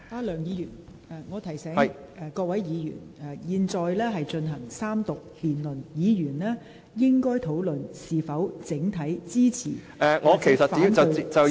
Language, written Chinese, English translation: Cantonese, 梁議員，我提醒你和各位議員，本會現正進行三讀辯論，議員應討論在整體上是否支持條例草案。, Mr LEUNG let me remind you and other Members that this is the Third Reading debate during which Members should discuss whether they support the Bill on the whole